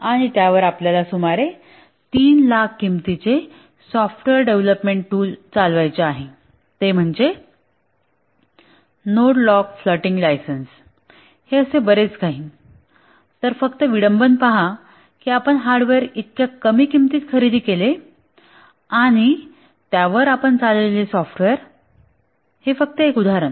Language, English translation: Marathi, And on that you want to run a software development tool costing about 3,000 that is a node node locked a floating license will be much more so just look at the irony that you buy the hardware in such a low price and the software that you run on it just one example there are many software that you might have to buy